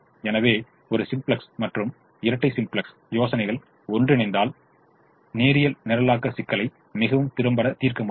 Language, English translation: Tamil, so a simplex and dual simplex ideas put together we can solve linear programming problems extremely effectively